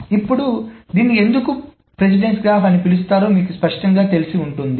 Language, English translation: Telugu, And now it should be clear why it is called a precedence graph